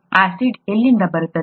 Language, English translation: Kannada, Where does the acid come from